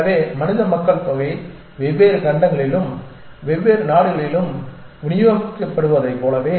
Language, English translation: Tamil, So, just as human populations are sort of distributed in different continents and different countries and so on and so forth